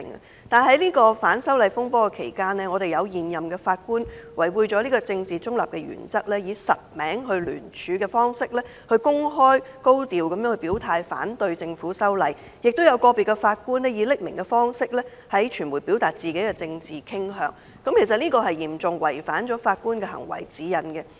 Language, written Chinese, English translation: Cantonese, 不過，在這次反修例風波期間，有現任法官違背政治中立的原則，以實名聯署方式，高調地公開表態反對政府修例，亦有個別法官以匿名方式向傳媒表達自己的政治傾向，其實這是嚴重違犯《法官行為指引》的。, Nonetheless in the current anti - amendment turmoil certain incumbent Judges have acted against the principle of maintaining political neutrality by expressing their opposition to the amendments proposed by the Government in a high profile and open manner through the signing of joint statements in their real names . Moreover individual Judges have expressed their political preference to the media anonymously which is a serious violation of the Guide to Judicial Conduct